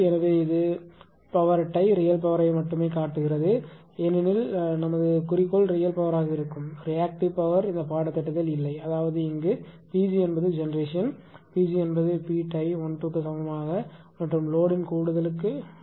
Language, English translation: Tamil, So, this is a P, it a real power only showing because our objective will be real power only reactive power will not study in this course right so; that means, here P g is the generation if this is the pg pg should be is equal to the P tie one two plus the load right